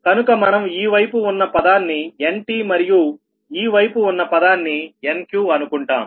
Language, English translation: Telugu, so this side is a nt term, this side is a nq term